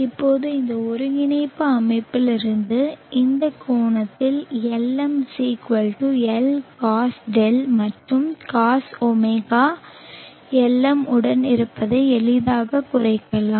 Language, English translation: Tamil, Now from this coordinate system we can easily reduce that Lm=Lcos of this angle d and cos